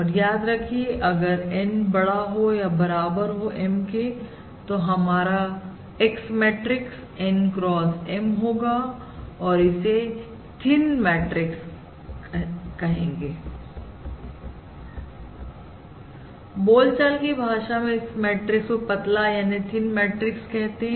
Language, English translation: Hindi, and remember, when N is greater than or equal to M, our matrix X is N x M and this matrix is basically also known as a thin matrix